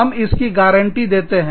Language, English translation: Hindi, We will give you a guarantee, of that